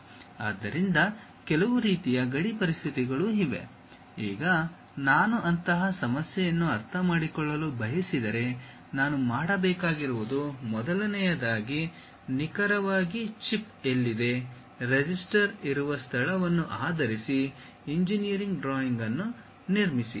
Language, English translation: Kannada, So, certain kind of boundary conditions are there; now, if I would like to understand such kind of problem what I have to do is, first of all construct an engineering drawing based on where exactly chip is located, where resistor is present